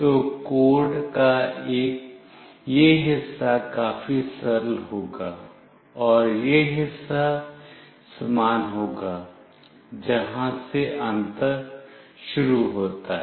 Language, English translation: Hindi, So, this part of the code will be fairly the straightforward, and this part as well will be the same, where the difference starts is here